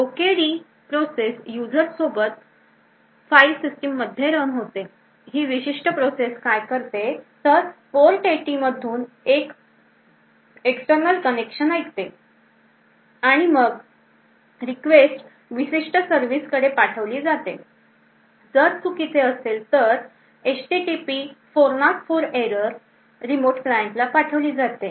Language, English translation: Marathi, Now the OKD process runs with the user OKD and in the file system run, so what this particular process does, it listens to external connections through port number 80 and then it forwards the request to specific services, so if the request is invalid then it sense a HTTP 404 error to the remote client if the request is broken then it could send an HTP 500 request to the remote client